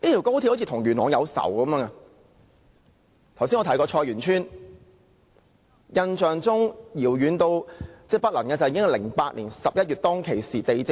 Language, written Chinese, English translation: Cantonese, 剛才我提及的菜園村事件，印象十分遙遠，應該是2008年11月發生的事。, The CYT incident I just mentioned happened around November 2008 which appeared to be a distant memory